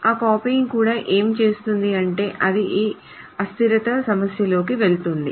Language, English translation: Telugu, What does that copying also does is that it runs into this problem of inconsistency